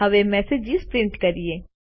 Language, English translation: Gujarati, Now, lets print a message